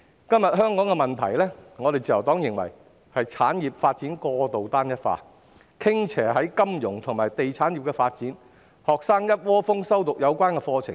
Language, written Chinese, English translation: Cantonese, 今天香港的問題，自由黨認為是產業發展過度單一化，傾斜於金融及地產業的發展，學生一窩蜂修讀有關課程。, The Liberal Party takes the view that the problems facing Hong Kong today are the overly uniform development of industries and the tilt towards the development of the financial services and real estate industries which cause flocks of students to study relevant courses